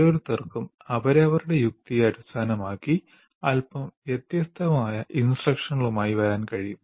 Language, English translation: Malayalam, Each one can based on their logic, they can come with a slightly different instruction